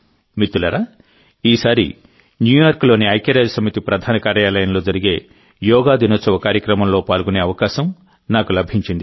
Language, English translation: Telugu, Friends, this time I will get the opportunity to participate in the Yoga Day program to be held at the United Nations Headquarters in New York